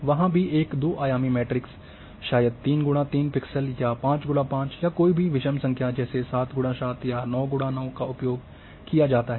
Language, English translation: Hindi, There also a two dimensional matrix maybe of 3 by 3 pixels may be by 5 by 5 any odd number or 7 or 9, 9 by 9 are used